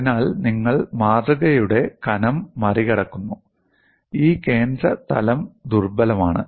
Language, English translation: Malayalam, So, you make over the thickness of the specimen, this central plane as v